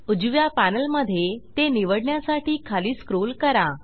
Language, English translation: Marathi, I will scroll down in the right panel to select it